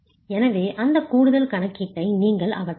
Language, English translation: Tamil, So you might as well do away with that additional calculation